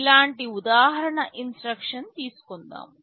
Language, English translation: Telugu, Let me take an example instruction like this